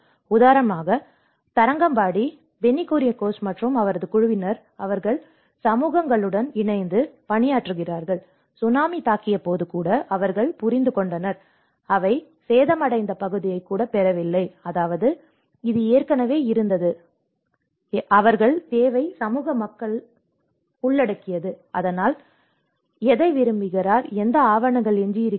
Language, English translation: Tamil, Like for instance in Tharangambadi, Benny Kuriakose and his team, they work with the communities, they understood even when the Tsunami have struck they did not even get the area of which has been damaged, I mean which was an existing, so they need to involve the community people and so that is where who wants what, there is no documents left over sometime